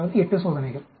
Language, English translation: Tamil, That means 8 experiments